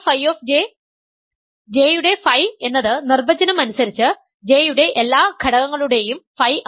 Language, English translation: Malayalam, Phi of J is by definition all elements phi of all elements of J